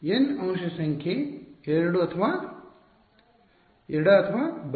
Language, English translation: Kannada, N element number is 2 left or right